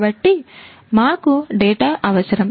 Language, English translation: Telugu, So, we need data